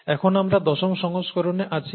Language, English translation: Bengali, Now we are in the tenth edition